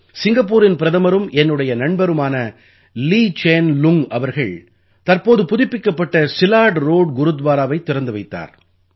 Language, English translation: Tamil, The Prime Minister of Singapore and my friend, Lee Hsien Loong inaugurated the recently renovated Silat Road Gurudwara